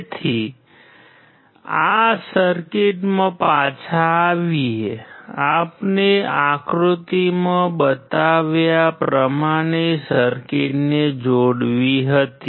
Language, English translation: Gujarati, So, coming back to the circuit, we had to connect the circuit as shown in figure